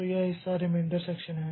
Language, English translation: Hindi, So, this part is the remainder section